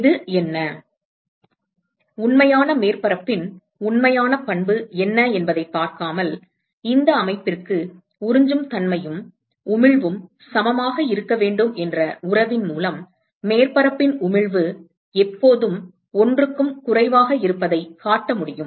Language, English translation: Tamil, Without looking at what this is, what is the actual property of the real surface, we are able to show that the emissivity of the surface is always less than 1 simply by the relationship that absorptivity and emissivity should be equal for this system